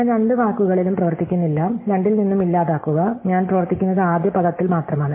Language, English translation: Malayalam, So, I do not operate on both words and delete from both, I operate only on the first word